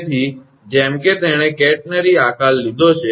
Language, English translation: Gujarati, So, as it has taken a catenary shape